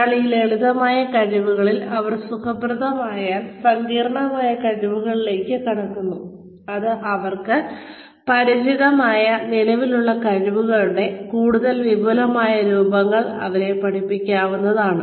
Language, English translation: Malayalam, Once, they are comfortable, with these simpler skills, then complex skills, which are nothing, but more advanced forms, of the existing skills, that they are familiar with, are taught to them